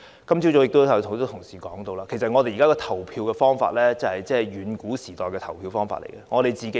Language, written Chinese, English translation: Cantonese, 今早已有很多同事提到，現時的投票方法是遠古時代的投票方法。, This morning a number of Honourable colleagues criticized that our current voting method was outdated and backward